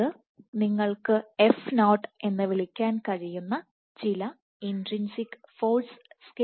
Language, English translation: Malayalam, So, this is some intrinsic force scale you can call it f0